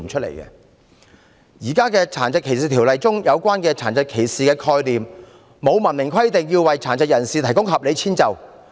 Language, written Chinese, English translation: Cantonese, 現時《殘疾歧視條例》中有關殘疾歧視的概念沒有明文規定要為殘疾人士提供合理遷就。, Under the existing DDO there is no clear provision requiring anyone to provide reasonable accommodation for persons with disabilities based on the concept of disability discrimination